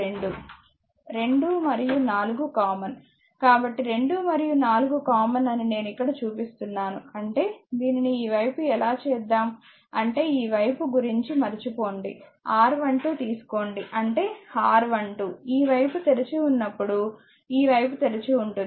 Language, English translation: Telugu, 2 and 4 is common; so, I making it here that 2 and 4 is common right; that means, we make it as a say your what you call forget about this side forget about this side say take R 1 2; that means, your R 1 2; when this side is open this side is open